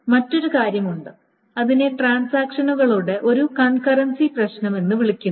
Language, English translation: Malayalam, Now, there is another thing which is called the concurrency issue of transactions